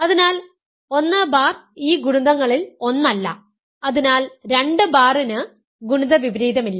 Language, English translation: Malayalam, So, 1 bar is not one of this products, so 2 bar has no multiplicative inverse